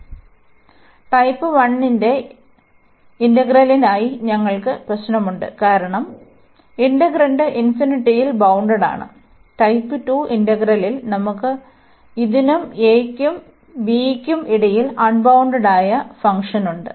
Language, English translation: Malayalam, So, for integral of type 1 we have the problem because of the infinity where the integrand is bounded, in type 2 integral we have a unbounded function somewhere between this a and b